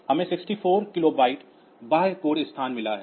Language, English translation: Hindi, So, it is again another 64 kilobyte of external data memory